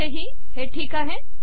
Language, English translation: Marathi, Here also, alright